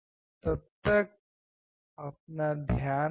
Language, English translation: Hindi, Till then you take care